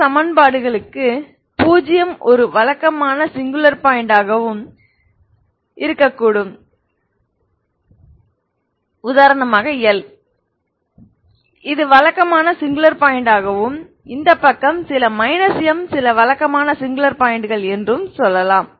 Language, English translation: Tamil, Suppose for certain equations 0is a regular singular point and there may be some l, l is a some l is a regular singular point and this side let us say some M is minus M is some regular singular point